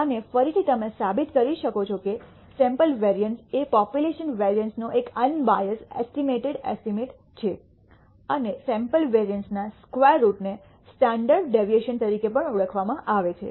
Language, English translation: Gujarati, And again you can prove that the sample variance is an unbiased estimated estimate of the population variance and the square root of the sample variance is also known as the standard deviation